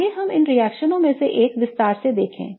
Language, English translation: Hindi, Let us look at one of these reactions in detail